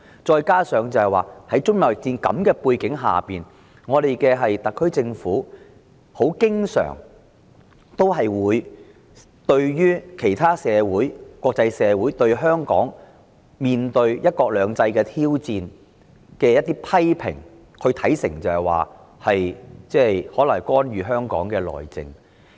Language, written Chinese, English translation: Cantonese, 再者，在中美貿易戰下，特別行政區政府經常將國際社會對香港"一國兩制"的情況作出的批評看成為對香港內政的干預。, Moreover in the face of the trade war between China and the United States the Special Administration Region SAR Government often regards criticisms made by the international community against the condition of one country two systems in Hong Kong as interference in the territorys internal affairs